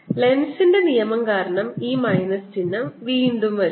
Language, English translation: Malayalam, this minus sign again comes because of lenz's is law